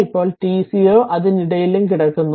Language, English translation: Malayalam, Now t 0 is lying in between alpha and beta